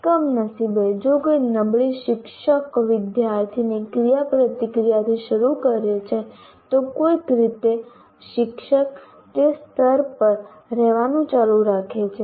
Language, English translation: Gujarati, And unfortunately, if somebody starts with a poor teacher student interaction, somehow the teacher continues to stay at that level, which is unfortunate